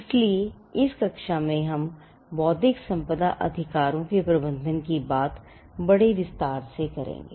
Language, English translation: Hindi, So, in the class where we deal with management of intellectual property right, we will look at this in greater detail